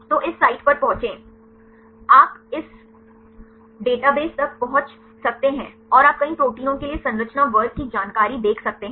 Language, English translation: Hindi, So, access this site, you can access this database, and you can see the structure class information for several proteins